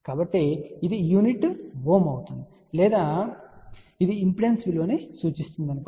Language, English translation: Telugu, So, the unit of this will be ohm or you can say this will represent the impedance value